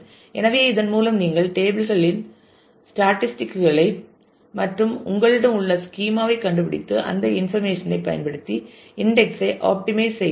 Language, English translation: Tamil, So, by that you can find out statistics about the tables and the schema that you have and use that information to subsequently optimize the index